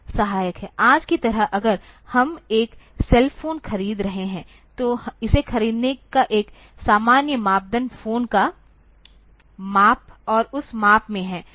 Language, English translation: Hindi, Like today if we are buying a cell phone, a typical criteria for buying it is the size of the phone, and in that size